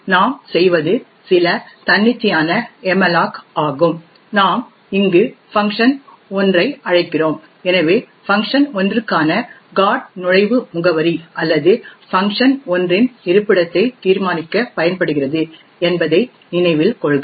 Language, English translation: Tamil, Now what we do is some arbitrary malloc we invoke here and invoke function 1, so note that so now note that the GOT entry for function 1 is used to determine the address or the location of function 1